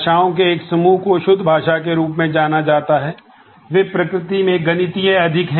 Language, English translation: Hindi, One group of languages is known as a pure language, they are more mathematical in nature